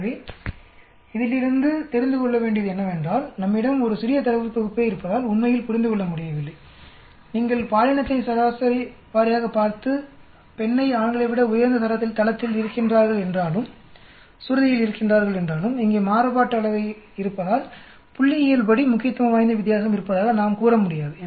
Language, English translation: Tamil, So main take away from this is because we have in a small data set we are not able to really decipher, although you see the gender average wise the female has a higher pitch than the male we are not able to say there is a statistically significant difference because of the variance here